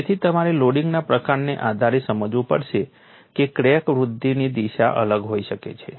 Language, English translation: Gujarati, So, you have to realize depending on the kind of loading, the crack growth direction can define